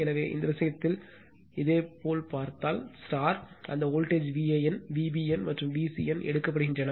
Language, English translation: Tamil, So, in this case if you look into that that voltage V a n, V b n, and V c n is taken